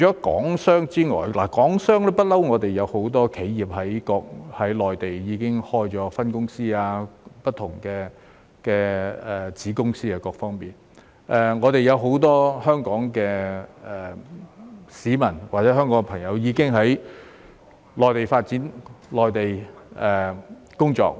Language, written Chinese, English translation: Cantonese, 港商方面，一直以來也有很多香港企業在內地開設分公司或子公司，亦已有很多香港市民在內地發展和工作。, As for Hong Kong businessmen many Hong Kong enterprises have all along established branches or subsidiaries in the Mainland and many Hong Kong people have gone exploring and working in the Mainland